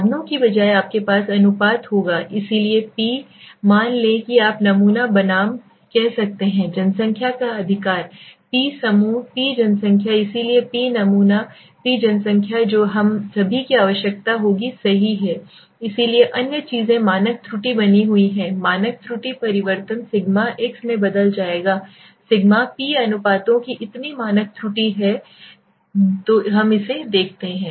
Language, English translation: Hindi, Instead of the means you will have the proportions so p let us say you can say the sample versus the population right, p group p population so p sample p population that is all we will require right, so other things remain the standard error standard error change to sigma x will change to sigma p so standard error of the proportions okay, so let us see this